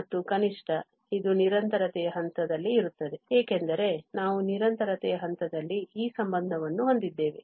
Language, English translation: Kannada, And, at least this will be the case where at the point of continuity because we have this relation at the point of continuity